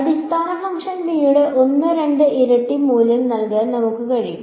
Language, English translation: Malayalam, Let us give it some value 1 and 2 times the basis function b